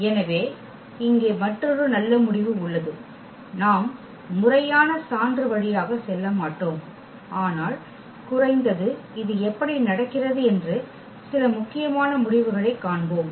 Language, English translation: Tamil, So, there is another nice result here we will not go through the formal proof, but we will see at least some intuition how this is happening